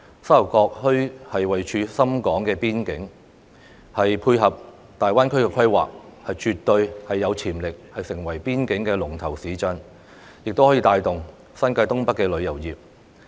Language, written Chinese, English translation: Cantonese, 沙頭角墟位處深港邊境，可配合大灣區規劃，絕對有潛力成為邊境的龍頭市鎮，亦可以帶動新界東北的旅遊業。, As the Sha Tau Kok town is situated at the boundary between Hong Kong and Shenzhen it can support the planning of the Greater Bay Area and has to potential to become a major town in boundary area and it may also promote the tourism industry of the Northeast New Territories